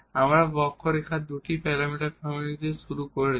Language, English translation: Bengali, So, we have this two parameter family of curves